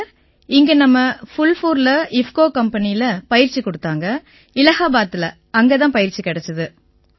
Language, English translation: Tamil, Ji Sir, the training was done in our Phulpur IFFCO company in Allahabad… and we got training there itself